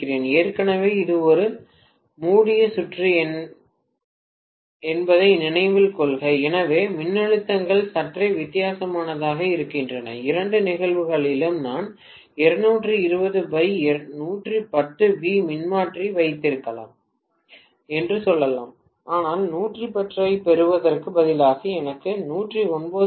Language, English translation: Tamil, Please note already it is a closed circuit, so the voltages are somewhat different let us say I may have 220 by 110 volts transformer in both the cases but instead of getting 110 I get 109